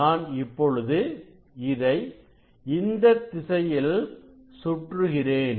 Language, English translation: Tamil, So now, if I rotate in this direction what you will see